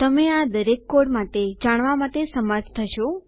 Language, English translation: Gujarati, You will be able to know all these codes about